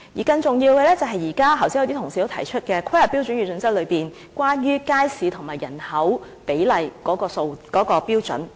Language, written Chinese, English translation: Cantonese, 更重要的是，剛才有一些同事也提及在規劃標準與準則內有關街市與人口比例的標準。, More importantly just now some Honourable colleagues also mentioned the standards related to the ratio of markets to population in the planning standards and guidelines